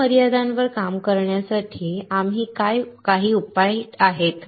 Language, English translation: Marathi, There are some solutions to work on these limitations